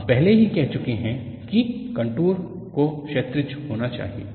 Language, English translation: Hindi, We have already set that the contours have to be horizontal